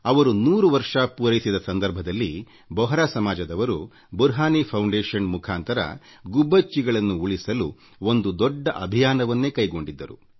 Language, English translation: Kannada, As part of the celebration of his 100th year the Bohra community society had launched a huge campaign to save the sparrow under the aegis of Burhani Foundation